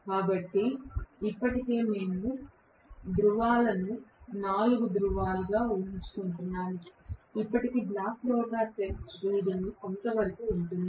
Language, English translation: Telugu, So, already we have deduced the poles have to be 4 poles then block rotor test reading is somewhat like this